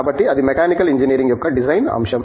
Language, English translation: Telugu, So, that is the design aspect of Mechanical Engineering